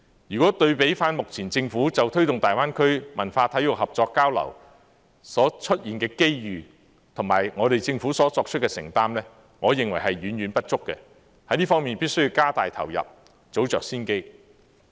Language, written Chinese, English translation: Cantonese, 如果對比目前就推動大灣區文化體育合作交流所出現的機遇，我認為我們政府所作出的承擔遠遠不足，在這方面必須加大投入，早着先機。, In my view the commitments made by our Government are far from sufficient in the light of the opportunities available for promoting cooperation and exchanges in culture and sports in the Greater Bay Area . In this regard we have to ramp up investment to take early advantage of the opportunities